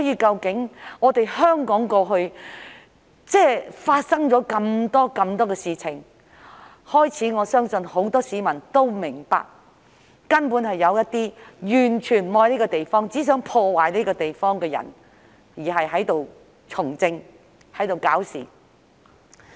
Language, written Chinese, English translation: Cantonese, 在香港過去發生這麼多事情後，我相信很多市民都開始明白，有一些完全不愛香港、只想破壞香港的人，正在從政和搞事。, After Hong Kong has experienced so many events I believe many members of the public have started to understand that some people who have no love for Hong Kong and only intend to destroy Hong Kong are currently engaging in politics and causing trouble